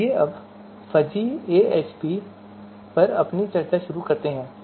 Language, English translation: Hindi, So now let us start our discussion on fuzzy AHP